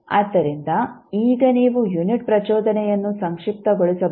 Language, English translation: Kannada, So, now you can summarize that the unit impulse